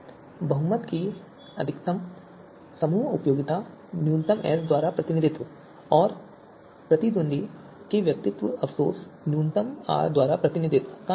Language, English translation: Hindi, So maximum group utility represented by min S of the majority and a minimum of the individual regret of the opponent